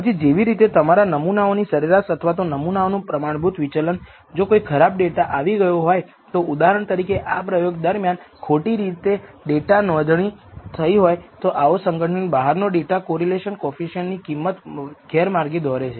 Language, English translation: Gujarati, That is generally recommended and then like the your sample mean or the sample variance standard deviation if there are outliers if there is one bad data point or experimentally you know experimental point which is wrongly recorded for example, that can lead to misleading values of this correlation coefficient